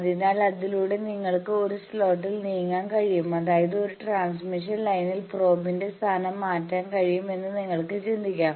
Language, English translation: Malayalam, So, by that you can move it in that slot so; that means, you can think of these that on a transmission line you can vary your position of the probe